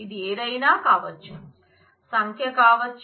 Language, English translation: Telugu, It can be anything any number